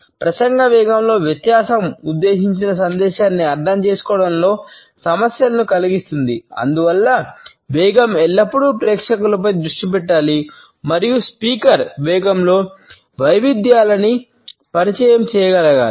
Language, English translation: Telugu, Difference in speech rate causes problems in understanding the intended message, therefore the speed should always focus on the audience and then the speaker should be able to introduce variations in the speed